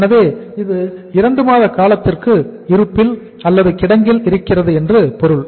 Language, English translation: Tamil, So it means for a period of 2 months it is remaining in the store